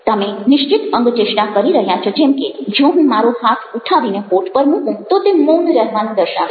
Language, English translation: Gujarati, you are making specific gesture, like if i take my hand up and put it on my lips, indicative of silence